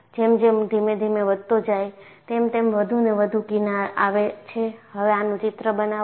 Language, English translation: Gujarati, As the load is gradually increased, you find more and more fringes come and make a sketch of this